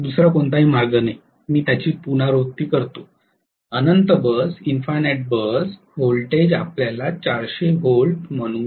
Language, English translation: Marathi, There is no other way, I repeat it, infinite bus voltage is let us say 400 volts okay